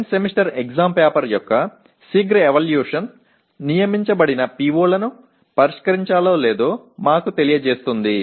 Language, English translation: Telugu, A quick evaluation of the End Semester Exam paper will tell us whether the designated POs are addressed or not